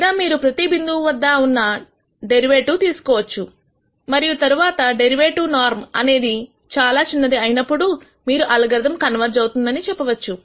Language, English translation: Telugu, Or you could take the derivative at every point and then when the derivative norm becomes very small you could say the algorithm converges